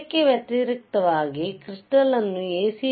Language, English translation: Kannada, cConversely if the crystal is subjected to A